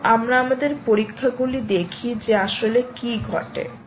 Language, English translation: Bengali, so lets see what actually is happening